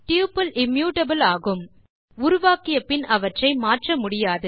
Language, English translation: Tamil, Tuples are immutable, and hence cannot be changed after creation